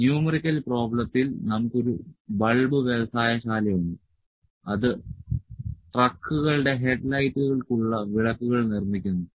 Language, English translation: Malayalam, So, in the numerical problem we have in this question a bulb industry produces lamps for the headlights of trucks